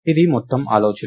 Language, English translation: Telugu, This is the whole idea